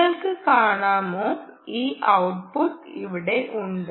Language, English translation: Malayalam, can you see this output here